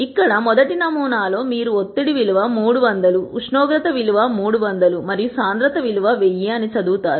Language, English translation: Telugu, Here in the first sample you will read that the value of pressure was 300, the value of temperature was 300 and the value of density was 1000